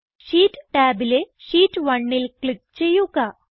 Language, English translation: Malayalam, Now, on the Sheet tab click on Sheet 1